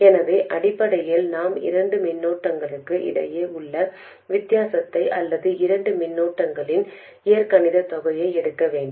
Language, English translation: Tamil, So essentially I need to be able to take the difference between two currents or algebraically sum of two currents